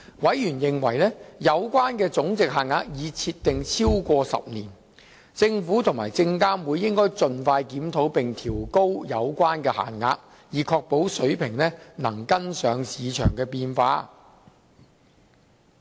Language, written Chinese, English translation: Cantonese, 委員認為有關總值限額已設定超過10年，政府及證監會應盡快檢討並調高有關限額，以確保水平能跟上市場變化。, Members hold that the monetary thresholds have been in place for over 10 years the Government and SFC should expeditiously review and revise them upwards to ensure the levels can keep up with market changes